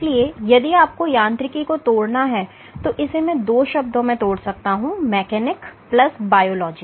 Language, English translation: Hindi, So, if you have to break down mechanobiology I can break it into two terms mechanics plus biology